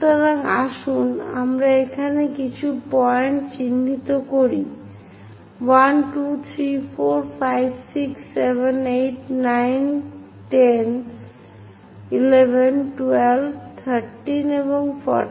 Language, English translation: Bengali, So, let us mark few points somewhere here, 1, 2, 3, 4, 5, 6, 7, 8, 9, maybe 10, 11, 12, 13 and 14